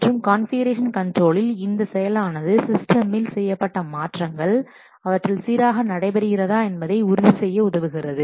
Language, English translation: Tamil, And in configuration control, this process is used to ensure that the changes made to a system they occur very smoothly